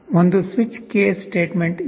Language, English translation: Kannada, There is a switch case statement